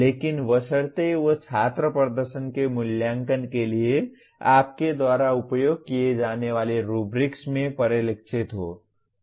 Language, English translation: Hindi, But provided they do get reflected in the rubrics you use for evaluating the student performance